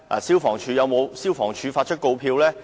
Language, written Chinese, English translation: Cantonese, 消防處有否發出告票呢？, Did the Fire Services Department FSD issue any penalty ticket?